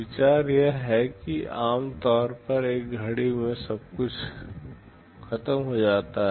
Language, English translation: Hindi, The idea is that normally everything finishes in one clock